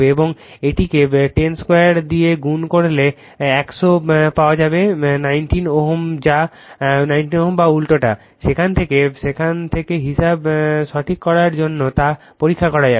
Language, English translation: Bengali, And this one if you multiply by 10 square that is 100 you will get 19 ohm or vice versa, right from that you can check whether calculation is correct or not, right